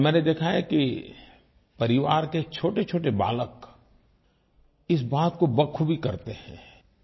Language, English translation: Hindi, I have seen that small children of the family do this very enthusiastically